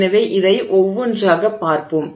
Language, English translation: Tamil, So, we will look at these one by one